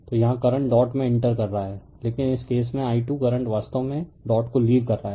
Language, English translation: Hindi, So, here current is entering dot, but in this case the i 2 current is current actually leaving the dot right